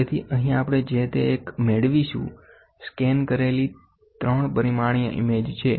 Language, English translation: Gujarati, So, here what we get is, a scanned image 3 dimensionally